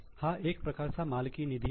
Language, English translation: Marathi, This is a type of owner's fund